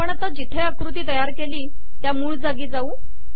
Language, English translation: Marathi, Lets come to the source where we created the figure